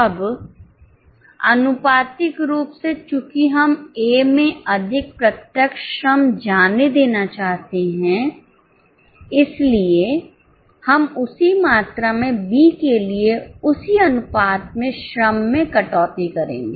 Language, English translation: Hindi, Now proportionately since we want more direct labour to go to A, we will cut down the labour for B in the same proportion by the same quantum